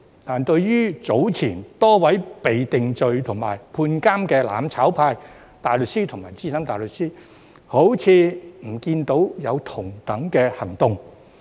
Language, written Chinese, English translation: Cantonese, 但是，對於早前多位被定罪及判監的"攬炒派"大律師和資深大律師，卻好像不見有同等的行動。, But for the several barristers and SC from the mutual destruction camp who were convicted and sentenced to imprisonment earlier it seems that similar actions have not been taken